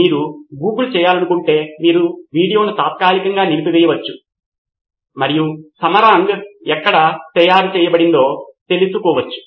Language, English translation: Telugu, You can pause the video if you want to google and find out where Samarang was made